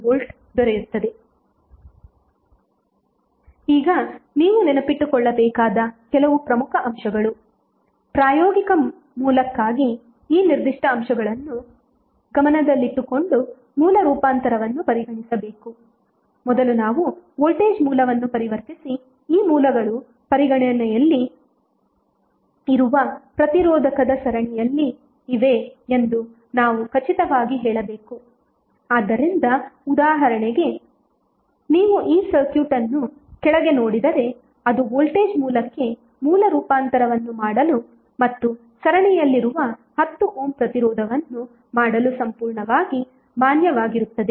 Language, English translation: Kannada, Now, some key points which you have to remember is that, for practical source the source transformation should be considered while keeping these particular aspects in mind, first is that when we transform a voltage source we must be very sure that these sources in fact in series with resistor under consideration, so for example if you see this circuit below it is perfectly valid to perform source transformation to the voltage source and 10 ohm resistance which is in series with voltage source